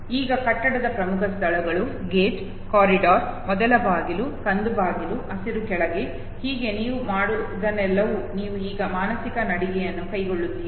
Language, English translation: Kannada, Now the prominent places in the building the gate, the corridor okay, the first door, the brown door, the green down likewise, so all you do is that you now undertake a mental walk through and when you, now take the mental walk through